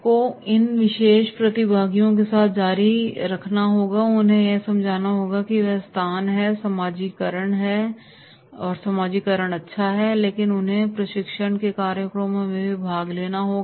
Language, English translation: Hindi, You have to continue with these particular participants and let them have to understand that this is the place, socialisation is good but they have to attend the training program also